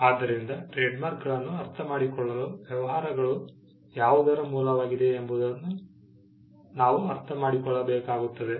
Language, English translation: Kannada, So, to understand trademarks, we need to understand what businesses are